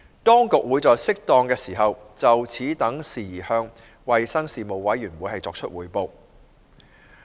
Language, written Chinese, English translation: Cantonese, 當局會在適當時候，就此等事宜向衞生事務委員會匯報。, The authorities will revert to the Panel on Health Services in this regard as and when appropriate